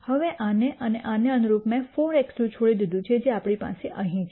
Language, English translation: Gujarati, Now, and corresponding to this I left 4 x 2 which is what we have here